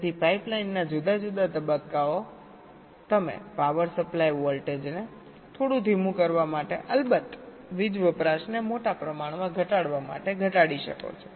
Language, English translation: Gujarati, so the different pipe line stages: you can reduce the power supply voltage also ok, to make it a little slower and, of course, to reduce the power consumption